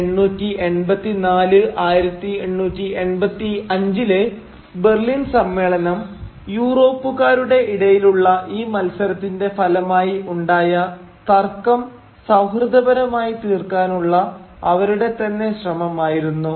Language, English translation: Malayalam, The Berlin Conference held in 1884 1885 was an attempt by the European powers to settle amicably between themselves the conflict that inevitably accompanied this competition